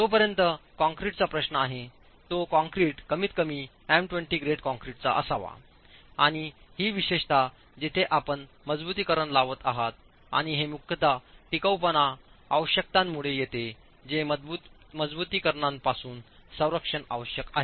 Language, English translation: Marathi, As far as concrete is concerned, the concrete shall at least be m20 grade concrete and this is particularly where you are placing reinforcement and this comes primarily from the durability requirements that protection to the reinforcement is required from corrosion